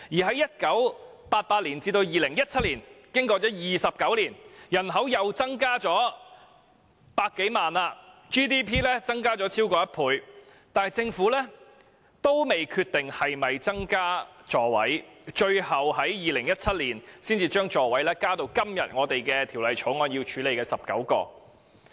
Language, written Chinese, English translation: Cantonese, 在1988年至2017年的29年間，人口又再增加百多萬人 ，GDP 更已增加超過一倍，但政府依然未決定是否增加座位，最後要到2017年才將座位數目增加至今天《條例草案》所處理的19個。, During the 29 years from 1988 to 2017 the population of Hong Kong has increased by more than a million and our GDP has more than doubled but the Government has still not yet decided to increase the seating capacity of light buses . Finally in 2017 the Government proposes to increase the seating capacity to 19 as provided in the Bill today